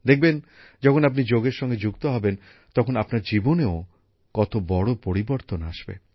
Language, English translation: Bengali, See, when you join yoga, what a big change will come in your life